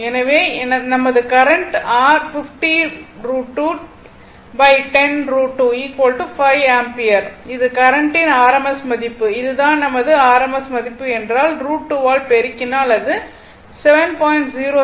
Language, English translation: Tamil, Therefore, my current will be your what you call 50 root 2 by 10 root 2 is equal to 5 ampere this is my rms value of the current right if if this is my rms value if you multiply by root 2 it will be 7